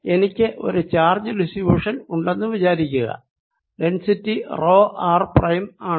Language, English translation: Malayalam, suppose i am given a charge distribution so that the density is rho r prime